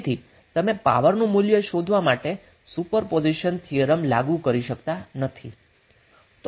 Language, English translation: Gujarati, So you cannot apply super position theorem to find out the value of power why